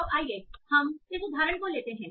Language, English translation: Hindi, So let's take this example